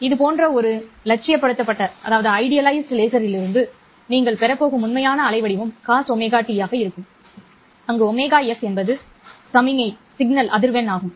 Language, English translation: Tamil, The actual waveform that you are going to get from the laser from an idealized laser like this will be cos omega S T where omega S will stand for the signal frequency